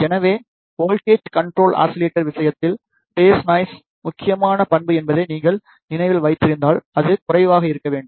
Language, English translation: Tamil, So, in case of voltage control oscillator, if you remember the phase noise is the critical parameter and it should be low